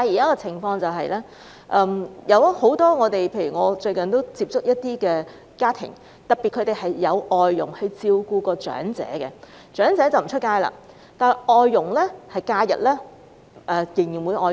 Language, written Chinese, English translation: Cantonese, 我最近接觸過一些聘有外傭的家庭，特別是由外傭照顧長者的家庭，長者不外出，但外傭在假日仍然會外出。, Recently I have had contact with families hiring FDHs especially those families in which the elderly are looked after by FDHs . The elderly would not go out but FDHs would do so on their rest days